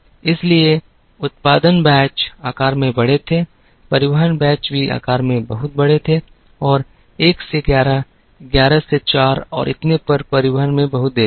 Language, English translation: Hindi, So, production batches were large in size, transportation batches were also very large in size and there was a lot of delay in transporting from 1 to 11,11 to 4 andso on